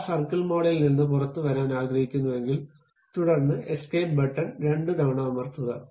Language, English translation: Malayalam, I would like to come out of that circle mode, then press escape twice